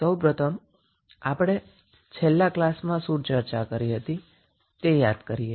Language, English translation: Gujarati, First, let us recap what we discussed in the last class